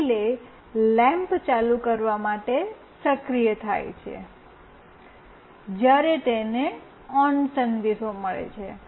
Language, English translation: Gujarati, The relay is activated to turn on the lamp, when it receives the ON message